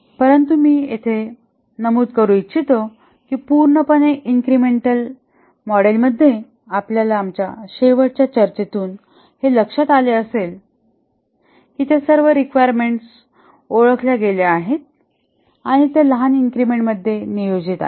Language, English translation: Marathi, But let me mention here that in the purely incremental model as you might have remember from our last discussion that all those requirements are identified and these are planned into small increments